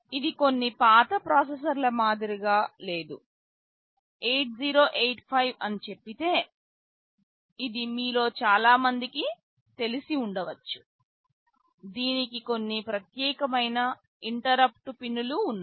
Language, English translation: Telugu, This is unlike some older processors; let us say 8085 which many of you may be knowing, which had some dedicated interrupt pins